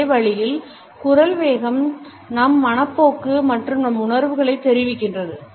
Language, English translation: Tamil, In the same way the speed of voice suggests our attitudes and our feelings